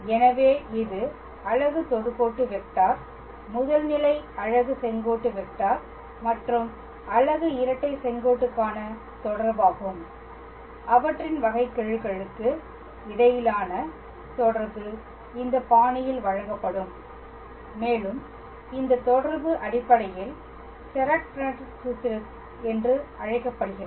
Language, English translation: Tamil, So, that is the relation amongst the unit tangent vector unit principle normal and unit binormal and the relation between their derivatives will be given in this fashion and this relation is basically called as Serret Frenet formula